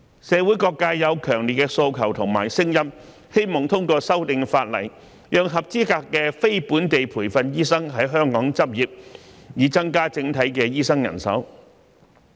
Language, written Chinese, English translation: Cantonese, 社會各界有強烈的訴求和聲音，希望通過修訂法例，讓合資格的非本地培訓醫生在香港執業，以增加整體的醫生人手。, There are strong calls and voices from different sectors of the community that legislative amendments should be made to increase the overall supply of doctors by allowing qualified NLTDs to practise in Hong Kong